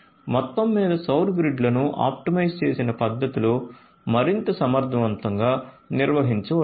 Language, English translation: Telugu, So, overall the solar grids could be managed much more efficiently in an optimized fashion